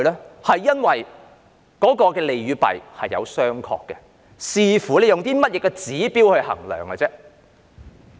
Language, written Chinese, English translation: Cantonese, 這是因為當中的利與弊是有商榷的，視乎以甚麼指標來衡量而已。, It is because the pros and cons are debatable depending on what indicators are used to measure them